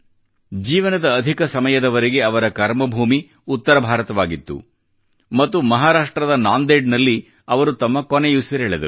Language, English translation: Kannada, For most of his life, his work was centred in North India and he sacrificed his life in Nanded, Maharashtra